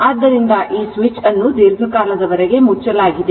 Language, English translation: Kannada, So that means this switch was closed for long time